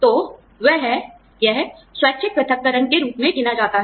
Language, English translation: Hindi, So, that is, it counts as, voluntary separation